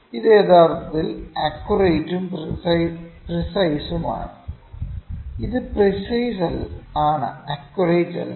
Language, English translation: Malayalam, This is precised accurate and precised actually; this is precised and not accurate